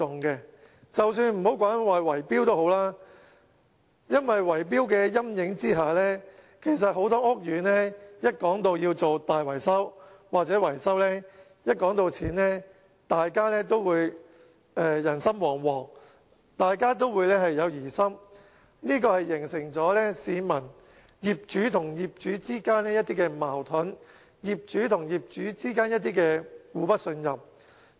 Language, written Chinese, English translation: Cantonese, 我暫且不說圍標，因為在圍標的陰影下，很多屋苑要進行大維修或維修，當討論到費用的時候，大家都會人心惶惶，都有疑心，這形成業主和業主之間一些矛盾、業主和業主之間的互不信任。, Perhaps I will first put the problem of bid - rigging aside as simply the concern about bid - rigging is enough to cause worries and suspicions among residents when they have to discuss repair and maintenance costs of their estate and this will then lead to conflicts and mistrust among owners